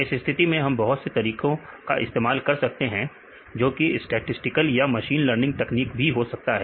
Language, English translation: Hindi, In this case we can use various methods, it can be statistically methods or the machine learning techniques for example, we take machine learning techniques